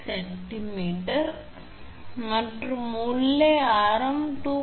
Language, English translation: Tamil, 5 centimeter and inside radius is 2